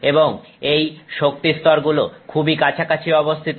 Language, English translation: Bengali, So, and these energy levels are extremely closely spaced